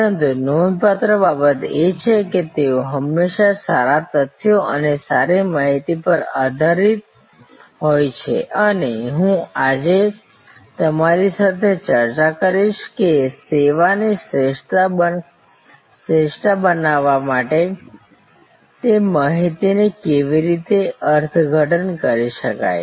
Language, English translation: Gujarati, But, what is remarkable is that, they are always grounded in good facts and good data and I will discuss with you today that how that data can be interpreted to create service excellence